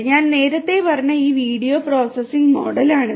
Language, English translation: Malayalam, This is this video processing model that I was talking about earlier